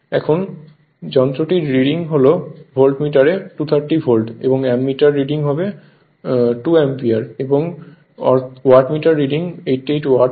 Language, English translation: Bengali, Now, hence the readings of the instrument are volt meter reading 230 volt, ammeter reading 2 ampere and wattmeter meter reading will be 88 watt right